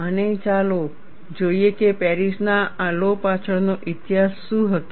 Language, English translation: Gujarati, And let us see, what was the history behind this Paris law